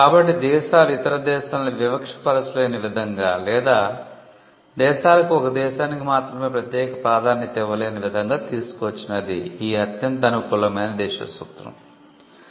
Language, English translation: Telugu, So, the most favoured nation principle brought in a way in which countries could not discriminate other countries or countries could not have a special treatment for one country alone